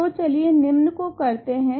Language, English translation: Hindi, So, let us do the following